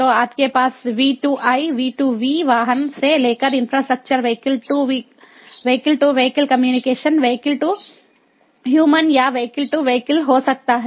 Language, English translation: Hindi, so you can have v two i, v two v, vehicle to infrastructure, vehicle to vehicle, communication, vehicle to human or even human to vehicle